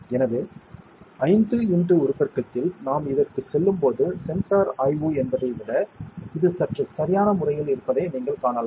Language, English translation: Tamil, So, you can see that at 5 x magnification, it looks a bit more perfect manner than when we go to this is basically sensor inspection